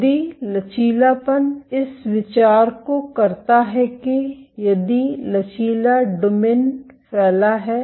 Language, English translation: Hindi, If the elastic do the idea being that the if the elastic domain is stretched